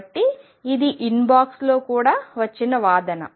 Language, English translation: Telugu, So, this is an argument which is also came inbox